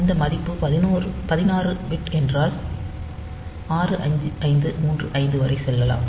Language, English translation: Tamil, So, it will overflow when that 16 bit value that 65535 is crossed